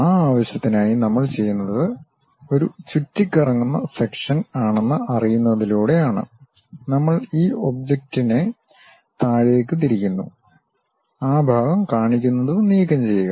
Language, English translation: Malayalam, For that purpose what we do is by knowing it is as a revolve section, we rotate this object downwards, remove that portion show it